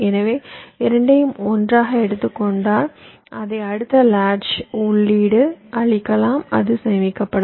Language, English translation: Tamil, so, both taken together, you will be feeding it to the next latch stage and it will get stored